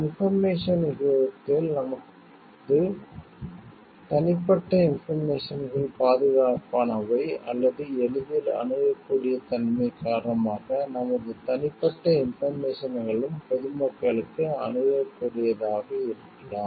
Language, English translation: Tamil, In this information age can we say like our private information is safe, or because of the access easily accessible nature the our private information s are also accessible to the may be public at large